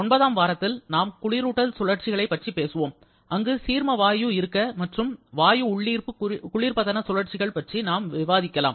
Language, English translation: Tamil, Then in week number 9, we shall be talking about the refrigeration cycles, where ideal vapour compression and absorption refrigeration cycles will be coming